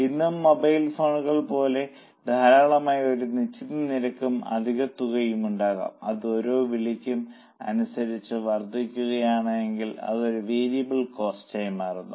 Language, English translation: Malayalam, Even today, even for mobile phones, normally there could be a fixed charge and extra amount if it increases as for calls, it becomes a variable cost